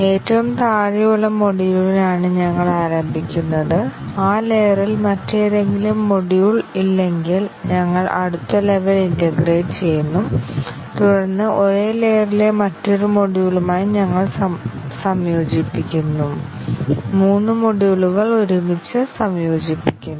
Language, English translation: Malayalam, We start with the bottom most module; and if there are no other module at that layer, we take the next level integrate, and then we integrate with another module in the same layer, three modules together